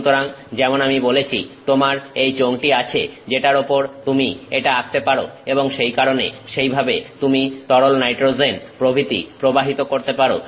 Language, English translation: Bengali, So, that is how like I said you have this cylinder on which you can paint it and that is why that is how you can flow the liquid nitrogen etcetera